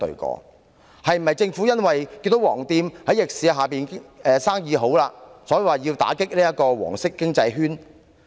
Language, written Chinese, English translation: Cantonese, 政府是否因為看見"黃店"在逆市下生意興隆，所以要打擊"黃色經濟圈"？, Is it because Government wants to deal a blow to the yellow economic circle after seeing yellow shops are doing booming business even under adverse market conditions?